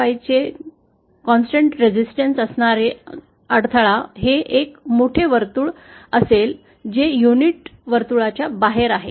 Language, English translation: Marathi, 5 will be this large circle which is outside the unit circle